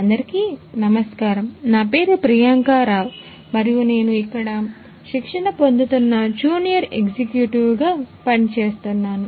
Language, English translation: Telugu, Hello everyone myself Priyanka Rao and I am working here as training junior executive